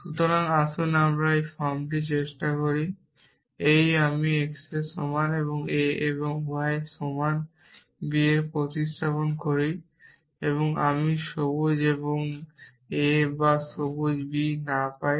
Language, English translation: Bengali, So, let us just try this form this and this I substitute x equal to a and y is equal to b I get green a or not green b